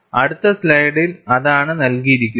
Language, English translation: Malayalam, And that is what is given in the next slide